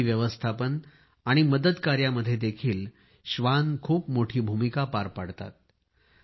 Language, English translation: Marathi, Dogs also have a significant role in Disaster Management and Rescue Missions